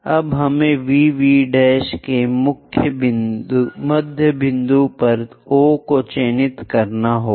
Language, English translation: Hindi, Now we have to mark O at midpoint of VV prime